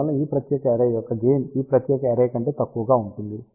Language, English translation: Telugu, Hence, gain of this particular array will be smaller than this particular array